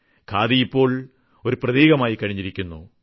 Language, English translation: Malayalam, Khadi has now become a symbol, it has a different identity